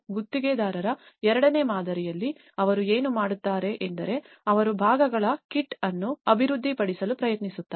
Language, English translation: Kannada, In the second model of the contractor driven what they do is they try to develop a kit of parts approach